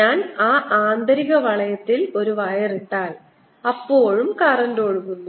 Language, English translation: Malayalam, if i put the wire, the inner loop, then also the current flows